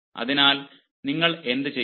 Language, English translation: Malayalam, so how will you do that